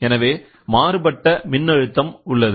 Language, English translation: Tamil, So, we always look for voltage